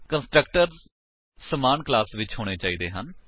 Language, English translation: Punjabi, The constructors must be in the same class